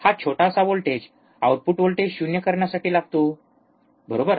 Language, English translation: Marathi, So, this small voltage which is required to make to make the output voltage 0, right